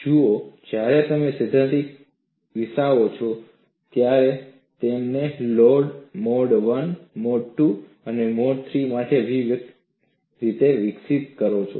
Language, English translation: Gujarati, See, when you develop the theory, you develop it individually for mode 1, mode 2, and mode 3